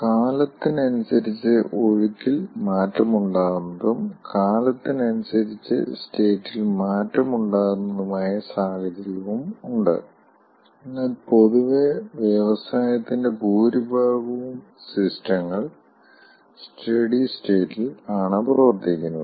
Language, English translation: Malayalam, there are situation where there will be change of flow with time, there will be change of state with time, but in general most of the industrial systems are operating under steady state